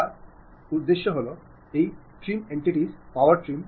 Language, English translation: Bengali, For that purpose again trim entities, power trim